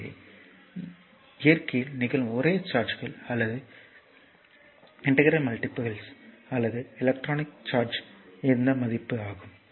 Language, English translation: Tamil, So, this is your the only charges that occur in nature or integral multiples or the electronic charge that is this value